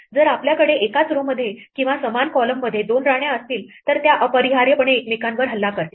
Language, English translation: Marathi, If we have two queens on the same row or the same column they will necessarily attack each other